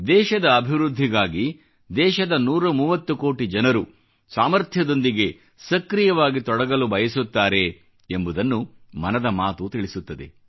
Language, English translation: Kannada, 'Mann Ki Baat' also tells us that a 130 crore countrymen wish to be, strongly and actively, a part of the nation's progress